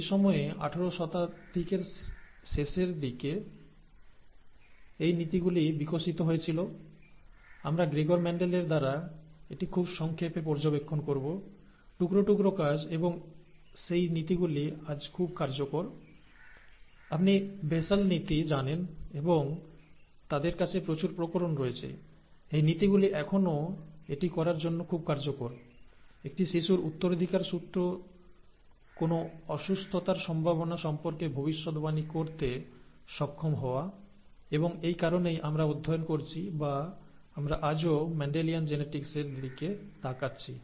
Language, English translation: Bengali, It was during that time, late eighteen hundreds, that these principles were developed; we will very briefly look at it by Gregor Mendel, seminal piece of work, and those principles are very effective today, although they are, you know basal principles and there are huge variations known to them, those principles are still very useful to do this, to be able to predict a child’s chances to inherit a disorder; and that is the reason we are studying or we are looking at Mendelian Genetics even today